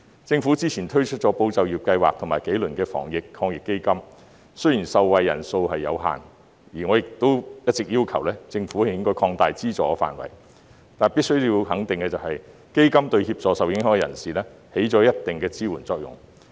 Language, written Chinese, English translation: Cantonese, 政府之前推出了"保就業"計劃和幾輪防疫抗疫基金，雖然受惠人數有限，我亦一直要求政府擴大資助範圍，但必須要肯定的是，基金對受影響人士起到一定支援作用。, Previously the Government has launched the Employment Support Scheme and several rounds of the Anti - epidemic Fund . Although the number of beneficiaries is limited and I have all along requested the Government to expand the scope of subsidies it must be acknowledged that the Fund has provided considerable support to the affected people